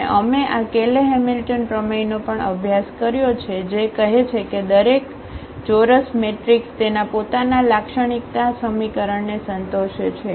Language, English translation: Gujarati, And, we have also studied this Cayley Hamilton theorem which says that every square matrix satisfy its own characteristic equation